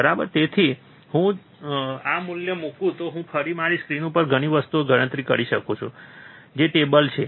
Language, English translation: Gujarati, So, then if I put this value I can calculate lot of things on my screen which is the table, right